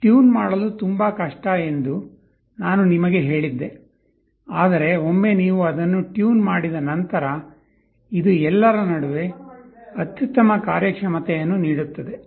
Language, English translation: Kannada, Now again, I told you that this is most difficult to tune, but once you have tuned it, this will give the best performance among all